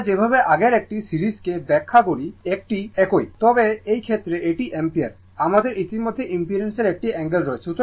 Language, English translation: Bengali, The way we explain the previous one series one it is same, but in this case it is ampere your what we call it is that we has already it is angle of impedance right